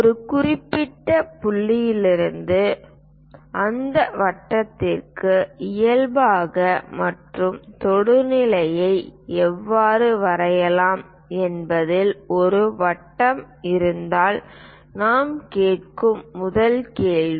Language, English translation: Tamil, The first question what we will ask is, if there is a circle how to draw normal and tangent to that circle from a given point